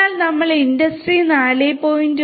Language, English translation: Malayalam, So, if we are talking about Industry 4